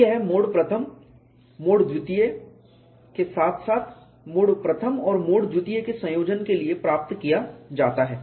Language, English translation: Hindi, So, this is obtained for mode one, mode two as well as combination of mode one and mode two